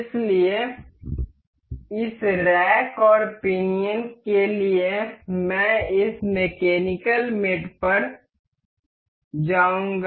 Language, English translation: Hindi, So, for this rack and pinion I will go to this mechanical mate